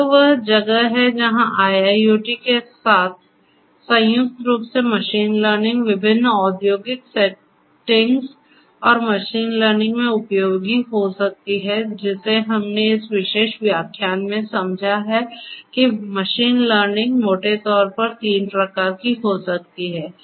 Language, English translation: Hindi, So, this is where machine learning combined with IIoT can be useful in different industrial settings and machine learning so far what we have understood in this particular lecture is that machine learning can be of broadly three types